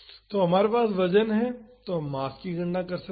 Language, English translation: Hindi, So, we have the weight so, we can calculate the mass